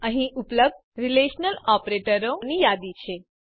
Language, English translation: Gujarati, Here is a list of the Relational operators available